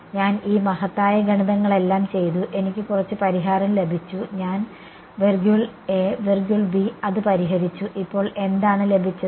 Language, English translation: Malayalam, I have done all these great math I have got some solution I have solved it got I A I B now what